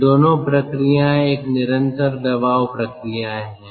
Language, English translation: Hindi, both the processes are a constant pressure process